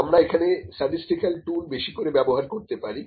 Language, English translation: Bengali, We can more apply the statistical tools